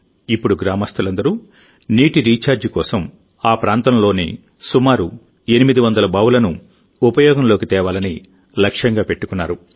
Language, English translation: Telugu, Now all the villagers have set a target of using about 800 wells in the entire area for recharging